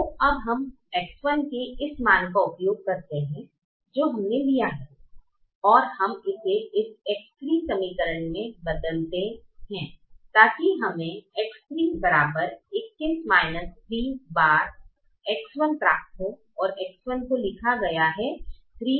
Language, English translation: Hindi, so we now use this value of x one that we have taken and we substitute it in this x three equation to get: x three is equal to twenty one minus three times x one